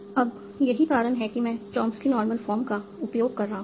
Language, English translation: Hindi, Now, that's why I am using the Choms in normal form